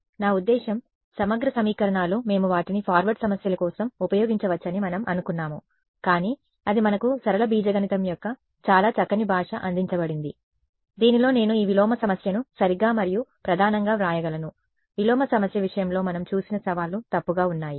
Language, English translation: Telugu, I mean integral equations, we thought we could just use them for forward problems, but it is given us a very nice language of linear algebra in which I could write down this inverse problem right and the main challenges that we saw in the case of inverse problem was ill posed